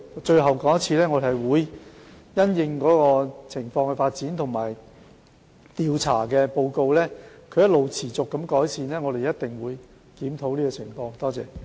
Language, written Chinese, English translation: Cantonese, 最後，我重申，我們會密切留意情況的發展和調查報告，若情況持續改善，我們一定會作出檢討。, Lastly I reiterate that we will continue to pay close attention to the development of the situation and the survey findings and if there are continuous improvements we will review the entire situation